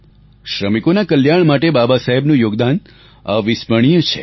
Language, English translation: Gujarati, One can never forget the contribution of Babasaheb towards the welfare of the working class